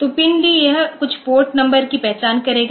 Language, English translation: Hindi, So, PIND it will identify some port number